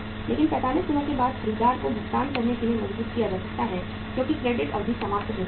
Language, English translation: Hindi, Only after 45 days the buyer can be compelled to make the payment as the credit period has come to an end